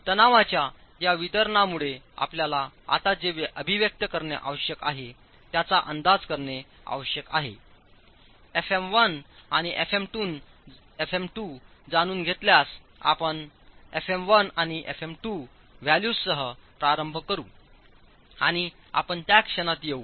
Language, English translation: Marathi, So, the expressions you now need to be able to estimate, given this distribution of stresses, knowing fM1 and FM2, we start with FM1 and FM2 values and we'll come to that in a moment